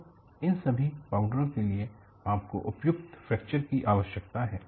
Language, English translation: Hindi, So, for all these powders,you need efficient fracture